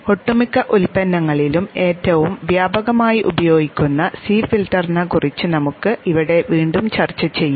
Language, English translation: Malayalam, Here again we shall discuss the C filter which is the one which is most widely used in most of the products